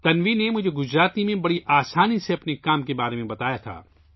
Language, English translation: Urdu, Tanvi told me about her work very simply in Gujarati